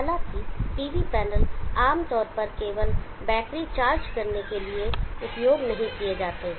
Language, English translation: Hindi, However, the PV panels are not used generally to only charge the batteries